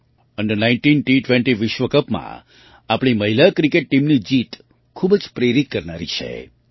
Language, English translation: Gujarati, The victory of our women's cricket team in the Under19 T20 World Cup is very inspiring